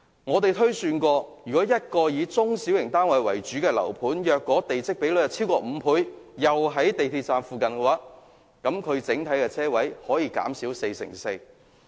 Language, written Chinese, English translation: Cantonese, 我們推算，以一個以中小型單位為主的樓盤為例，如果地積比率逾5倍，並位於港鐵站附近，整體車位數目可以減少四成四。, For a housing development comprising mainly of small and medium flats if it has a plot ratio in excess of 5 and is located near the MTR station we estimate that the number of parking spaces will have to be reduced by 44 % on the whole